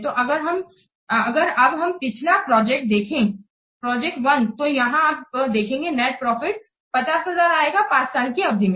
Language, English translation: Hindi, So, if you will take our previous project that is project one, here you can see the net profit is coming to be 50,000 along how many years